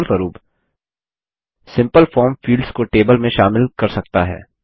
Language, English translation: Hindi, For example, a simple form can consist of fields in a table